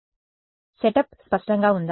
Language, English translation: Telugu, So, is the set up clear